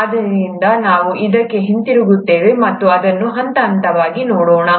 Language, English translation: Kannada, So we’ll come back to this and see it in a step by step fashion